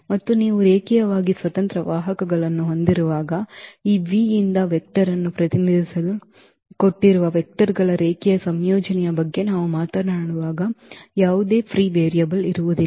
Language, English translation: Kannada, And when you have linearly independent vectors there will be no free variable when we talk about that linear combination of the given vectors to represent a vector from this V